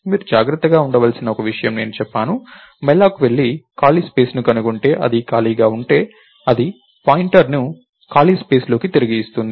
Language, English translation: Telugu, So, one thing that you have to be careful about is I said, if malloc goes and finds out a chunk of space, if that is free it will return the pointer to the chunk of space